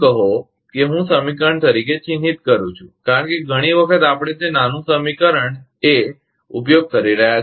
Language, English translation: Gujarati, Say this is, I marking as equation because several times we are using is a small a equation A